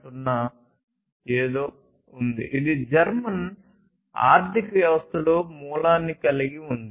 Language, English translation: Telugu, 0 this basically is something, which has the origin in the German economy